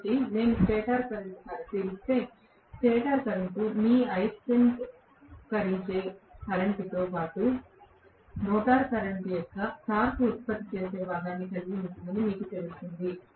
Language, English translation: Telugu, So, if I look at the stator current, the stator current will you know contain the magnetizing current as well as the torque producing component of rotor current